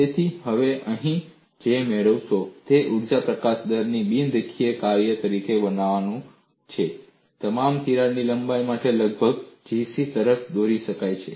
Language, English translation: Gujarati, So, what you gain here is, making the energy release rate as a non linear function leads to approximately the same G c for all crack lengths